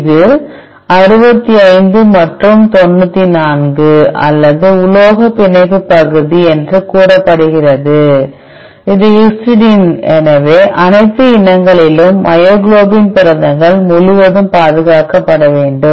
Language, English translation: Tamil, It is say 65 and 94 or metal binding region, which is histidine so, it should be conserved across all the myoglobin proteins across species